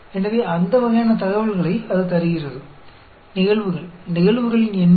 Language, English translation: Tamil, So, that sort of information it gives; events, number of events